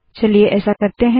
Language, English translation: Hindi, Let us do that now